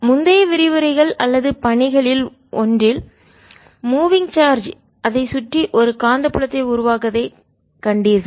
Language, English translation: Tamil, in one of the previous lectures or assignments you seen that a moving charge create a magnetic field around it